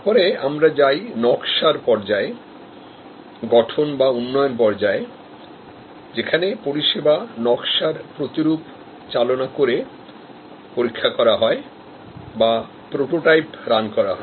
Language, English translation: Bengali, Then, we go to the design phase, the development phase, where services design and tested, prototype runs are made